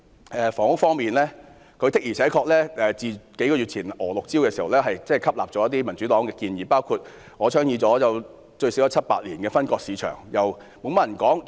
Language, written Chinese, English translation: Cantonese, 在房屋方面，自數月前推出的"娥六招"後，施政報告的確吸納了民主黨的部分建議，包括我倡議了最少七八年的"分割市場"措施。, Regarding the housing issue in addition to LAMs six strokes introduced several months ago the Policy Address has indeed accepted some recommendations made by the Democratic Party including the market segmentation initiative that I have championed for at least seven to eight years